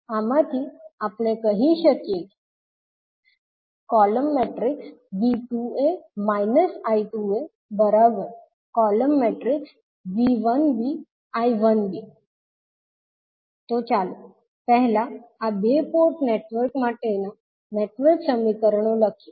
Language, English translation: Gujarati, So, let us write first the network equations for these two two port networks